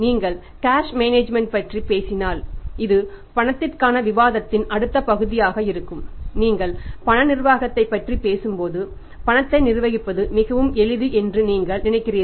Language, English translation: Tamil, If you talk about the cash management here then we will be talking about this cash management and this will be the next part of discussion for us now cash when you talk about the cash management you think that what to manage in cash is very simple